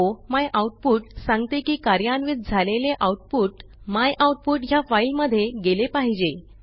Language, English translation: Marathi, o myoutput says that the executable should go to the file myoutput Now Press Enter